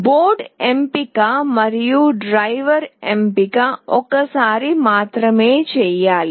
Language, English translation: Telugu, The board selection and the driver selection have to be done only once